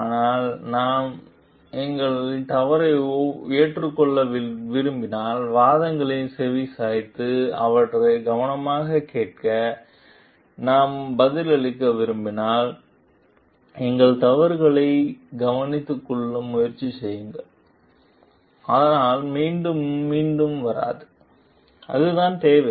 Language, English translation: Tamil, But if we like accept our mistake and we like answer pay heed to the arguments and listen to it carefully, try to take care of our mistakes; so that it does not get repeated in it; that is what is required